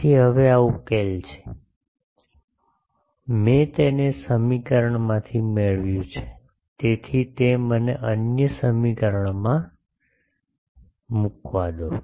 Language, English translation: Gujarati, So, now, this solution is, I have obtained it from this equation, so let it put me in the other equation